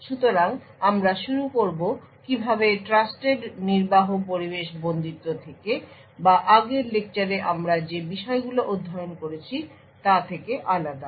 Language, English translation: Bengali, So, we will start off with how Trusted Execution Environment is different from confinement or the topics that we have studied in the previous lectures